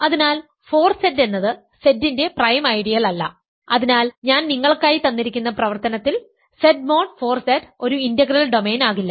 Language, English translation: Malayalam, So, 4Z is not a prime ideal of Z and hence by the exercise I left for you Z mod 4Z cannot be an integral domain